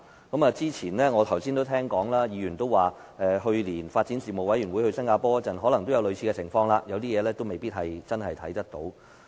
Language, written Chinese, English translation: Cantonese, 剛才我也聽到有議員說，發展事務委員會去年到新加坡考察時也曾遇上類似情況，指有些事未必能真正看見。, I have heard from Members that when the Panel on Development went to Singapore for a visit last year they ran into a similar situation and they might not have seen certain things